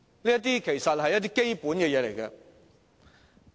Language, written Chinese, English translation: Cantonese, 這些其實都只是基本的工作。, This is in fact just the basic work